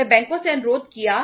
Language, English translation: Hindi, They requested the banks